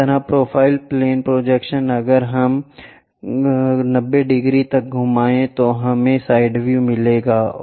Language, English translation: Hindi, Similarly, the profile plane projection if we are going torotate it 90 degrees, we will get a side view